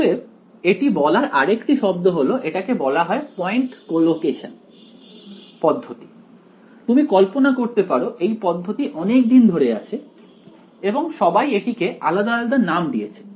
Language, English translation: Bengali, So, another word for this is called point collocation method, you can imagine this method has been around for such a long time everyone has come and given it a different name ok